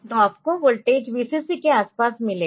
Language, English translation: Hindi, So, you will get the voltage around Vcc